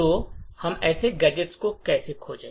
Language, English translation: Hindi, So how do we find such gadgets